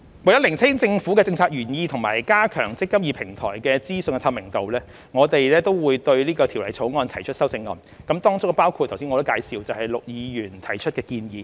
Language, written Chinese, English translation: Cantonese, 為釐清政策原意及加強"積金易"平台的資訊透明度，政府將對《條例草案》提出修正案，當中包括我剛才介紹陸議員提出的建議。, In order to clarify the policy intent and to enhance the information transparency of information on the eMPF Platform the Government will propose amendments to the Bill including those proposed by Mr LUK to which I referred just now